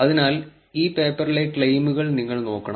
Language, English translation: Malayalam, So, you should look at the claims by this paper